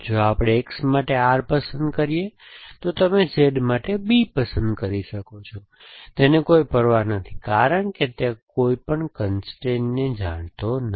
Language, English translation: Gujarati, If we choose R for X, you can choose B for Z, it does not care because it does not know any constrain essentially